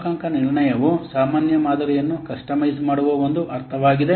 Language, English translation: Kannada, So, calibration is in a sense a customizing a generic model